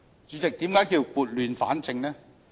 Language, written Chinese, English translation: Cantonese, 主席，為何說是撥亂反正呢？, President why do I say that we are setting things right?